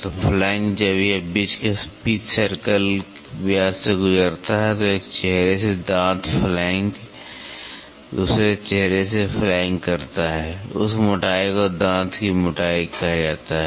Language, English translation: Hindi, So, the flank when it passes through the pitch circle diameter between the between that the tooth flank from one face flank from the other face that thickness is called as the tooth thickness